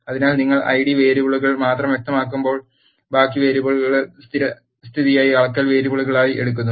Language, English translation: Malayalam, So, when you specify only Id variables, the rest of the variables are defaultly taken as the measurement variables